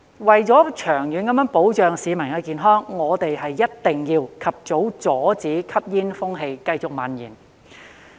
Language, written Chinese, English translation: Cantonese, 為了長遠保障巿民的健康，我們一定要及早阻止吸煙風氣繼續蔓延。, In order to protect public health in the long run we must stop the continual spread of smoking as soon as possible